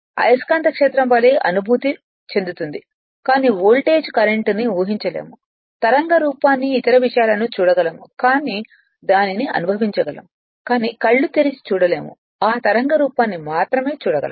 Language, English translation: Telugu, Like your magnetic field you can feel it, but you cannot visualise cu[rrent] voltage current you can see the wave form other things you, but you can feel it, but you cannot see in your open eyes only you can see that wave form right